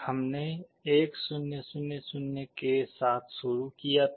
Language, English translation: Hindi, We started with 1 0 0 0